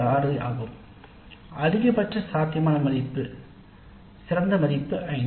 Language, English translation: Tamil, 6 and the maximum possible value, the best possible value is 5